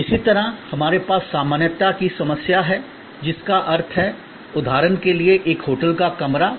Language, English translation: Hindi, Similarly, we have the problem of generality, which means for example, a hotel room is a hotel room